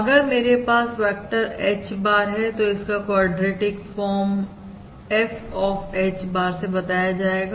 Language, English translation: Hindi, That is, if I have a vector H bar, the quadratic form is defined as F of H bar equals H bar, transpose P H bar